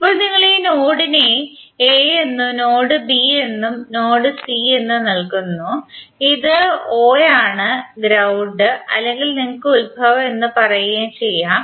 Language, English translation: Malayalam, Now if you give this node as a this node as b this node as c and this is o that is the ground or may be origin you can say